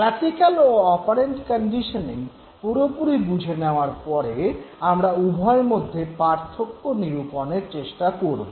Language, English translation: Bengali, So, having understood the whole concept of classical and operant conditioning, let us now try to make a distinction between the two